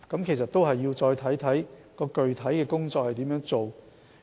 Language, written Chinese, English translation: Cantonese, 其實，這要視乎具體工作情況。, Actually it depends on the specific details of the work